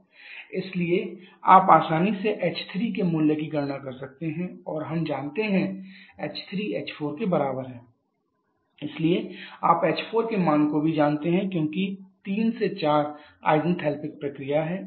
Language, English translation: Hindi, 32 mega Pascal and quality is equal to 0 so you can easily calculate value of h 3 and we know h 3 is equal to h 4 so you know the value of h 4 as well because 3 to 4 is an isenthalpic process